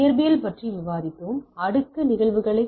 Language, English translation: Tamil, We were discussing on Physical Layer phenomenons